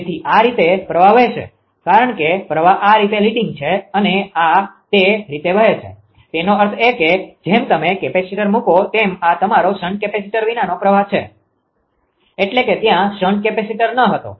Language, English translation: Gujarati, So, this way that current will flow because current is leading this way it will flow; that means, as soon as you the put the capacitor that your this is this current say without capacitor shunt capacitor, when the shunt capacitor was not there without shunt capacitor